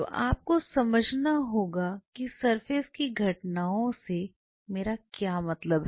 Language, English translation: Hindi, So, you have to realize what I meant by surface phenomena